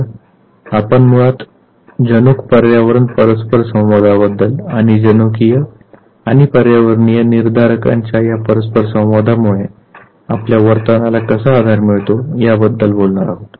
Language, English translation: Marathi, So, we would be basically talking about the gene environment interaction and how this interaction of the genetics and the environmental determinants they provide base to our behavior